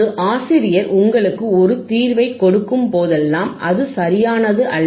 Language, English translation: Tamil, It is not that always whenever a teacher gives you a solution, it may beis correct